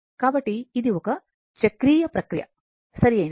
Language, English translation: Telugu, So, it is a cyclic process, right